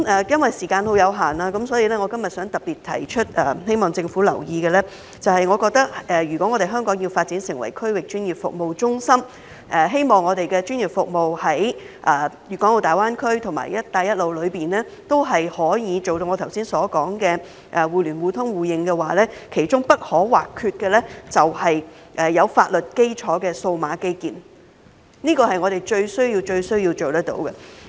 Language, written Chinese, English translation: Cantonese, 因為時間有限，我今天想特別提出，並希望政府留意的是，我認為如果香港要發展成為區域專業服務中心，希望我們的專業服務在大灣區及"一帶一路"中都能夠做到我剛才所說的互聯互通互認，其中不可或缺的就是有法律基礎的數碼基建，這是我們最需要做到的事情。, Because of the time constraint I would like to highlight today also hoping the Government will pay attention to my view that if Hong Kong is to develop into a regional professional services hub digital infrastructure with a legal basis is part and parcel of what is required to achieve interconnection mutual access and mutual recognition in the Greater Bay Area and the Belt and Road for our professional services as I have just mentioned . This is the most important thing we need to achieve